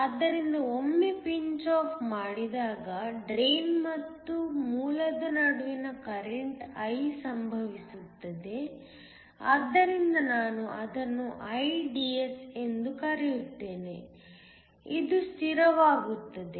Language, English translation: Kannada, So, When once pinch off occurs the current I between the drain and source, so I call it IDS becomes a constant